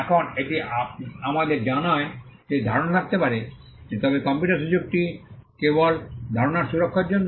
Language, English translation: Bengali, Now, this tells us that there could be ideas, but the scope of the copyright is only for the protection of the idea